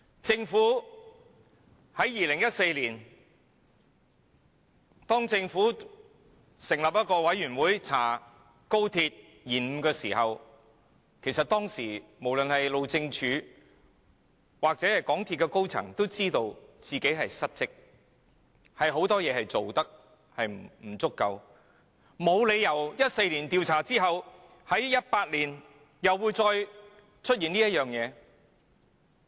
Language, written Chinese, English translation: Cantonese, 政府於2014年成立獨立專家小組就高鐵工程延誤展開調查，其實當時不論是路政署或港鐵高層也知道自己失職，有很多事情做得不足，所以沒有理由於2014年調查後，同一問題在2018年又再次出現。, In 2014 the Government set up an Independent Expert Panel to investigate the delay of the XRL project . Since both the Highways Department and the senior management of MTR Corporation Limited MTRCL were well aware that there was dereliction of duty on their part as well as inadequacies in many respects back then there is no reason why the same problem would occur again in 2018 after an investigation was conducted in 2014